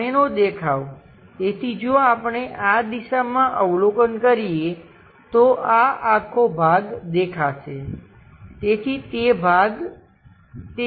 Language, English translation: Gujarati, The front view, so if we are observing in this direction, this part entirely will be visible, so that part will be that